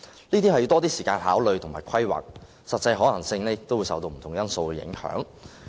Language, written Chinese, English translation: Cantonese, 這些需較多時間考慮和規劃，實際可行性亦會受不同因素影響。, These will take more time for consideration and planning and their actual feasibility will also be affected by different factors